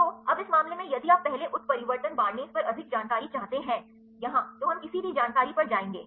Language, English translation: Hindi, So, now, the in this case if you are interested more details on the first mutation barnase here, we will going to any information